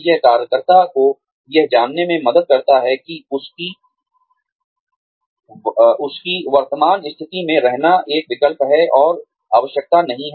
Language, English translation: Hindi, It helps the worker, know that, staying in his or her current position, is an option, and not a requirement